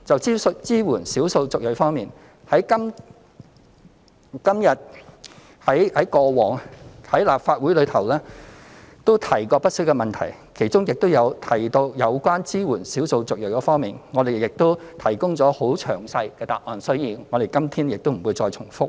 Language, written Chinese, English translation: Cantonese, 就支援少數族裔方面，過往在立法會也曾提過不少問題，其中亦有就支援少數族裔提供很詳細的答覆，所以我們今天不再重複。, Regarding our support for the ethnic minorities given that much has been discussed previously on this issue in the Legislative Council and very detailed replies have been given to various questions raised we will not repeat today